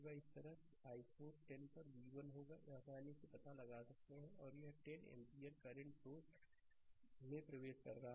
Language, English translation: Hindi, Similarly, i 4 will be v 1 upon 10, easily, you can find out and this 10 ampere current source is entering